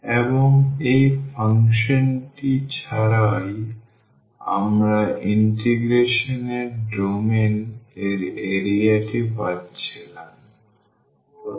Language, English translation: Bengali, And, just integrating without this function we were getting the area of the domain of integrations